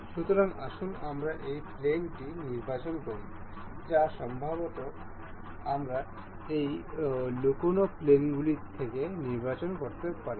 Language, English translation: Bengali, So, let us select this plane or maybe we can select from this hidden planes